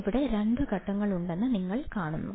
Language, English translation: Malayalam, You see that there are two stages here;